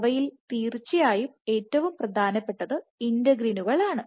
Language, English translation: Malayalam, So of course, the most important among them is integrins